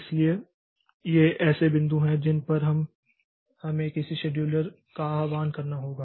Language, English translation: Hindi, So, these are the points at which we do we may need to invoke a scheduler